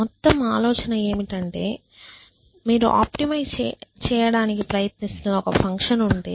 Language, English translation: Telugu, So, the whole idea is that if you have some function in which you are trying to optimize